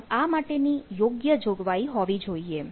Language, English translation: Gujarati, so that to be need to be properly provision